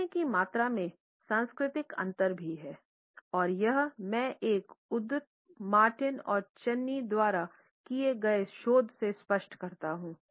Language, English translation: Hindi, Cultural differences in volume of speech are also apparent and here I quote from a research by Martin and Chaney